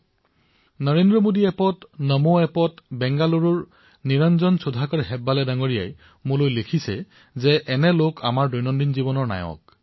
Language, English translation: Assamese, On the Narendra Modi app, the Namo app, Niranjan Sudhaakar Hebbaale of BengaLuuru has written, that such people are daily life heroes